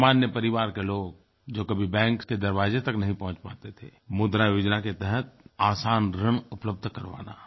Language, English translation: Hindi, People from normal backgrounds who could not step inside banks can now avail loan facilities from the "Mudra Yojana